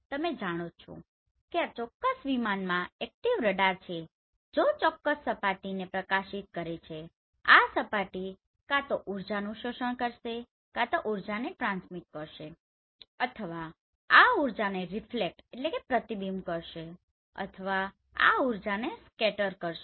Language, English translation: Gujarati, Here already you know this particular flight has active radar and it is illuminating this particular surface and the surface will either absorb this energy, transmit this energy or reflect this energy or scattered this energy